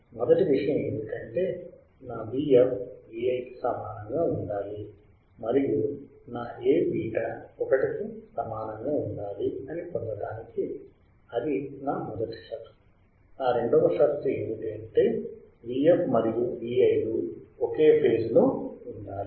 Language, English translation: Telugu, First thing is that my V f should be equal to V i and to get that to get that my A beta should be equal to 1, so that is my first condition; my second condition is the V f and V i should have same phase right